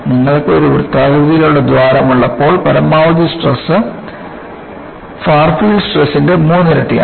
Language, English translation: Malayalam, And, you find, when you have a circular hole, the maximum stress is three times the far field stress